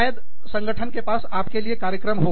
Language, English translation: Hindi, They may have, programs for you